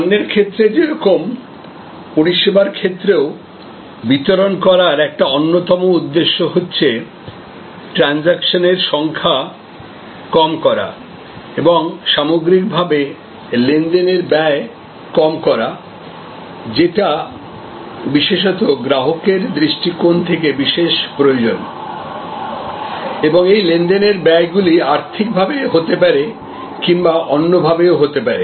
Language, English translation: Bengali, Now, just as in case of goods, in services also, one primary purpose of distribution is to reduce the number of transactions and also to reduce the transactions cost overall, particularly, from the perspective of the customer and these transaction costs are both monetary and non monetary type